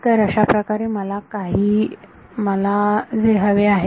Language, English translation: Marathi, So, something like that is what I want